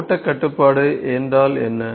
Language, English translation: Tamil, What is flow control